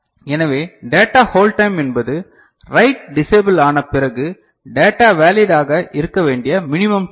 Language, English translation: Tamil, So, data hold time is the minimum time data to remain valid after write disables